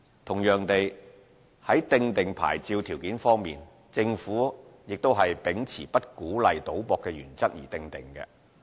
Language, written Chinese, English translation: Cantonese, 同樣地，在訂定牌照條件方面，政府亦是秉持不鼓勵賭博的原則而訂定。, Similarly for the formulation of licence conditions the Government has been following the principle of not encouraging gambling